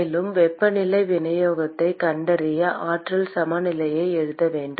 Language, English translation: Tamil, And in order to find the temperature distribution, we need to write the energy balance